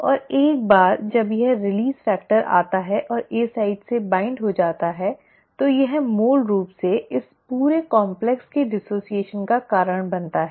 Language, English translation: Hindi, And once this release factor comes and binds to the A site, it basically causes the dissociation of this entire complex